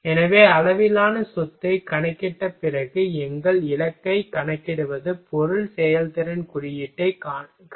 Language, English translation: Tamil, So, then after calculating the scale property, then what we will calc our goal is to calculate material performance index ok